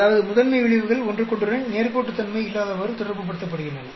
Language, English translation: Tamil, That means, the principal effects are getting non linearly associated with each other